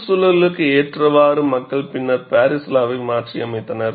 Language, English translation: Tamil, People have later modified the Paris law to accommodate for the environment